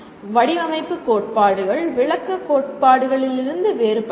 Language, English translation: Tamil, Design theories are different from what we call descriptive theories